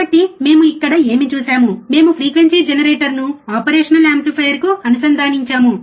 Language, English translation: Telugu, So, what we have done here is, we have connected the frequency generator to the operational amplifier